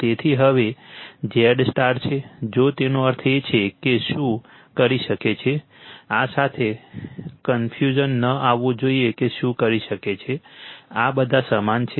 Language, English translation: Gujarati, So, now, Z star if, that means, what you can do is that, you should not be confused with this what you can do is this all are same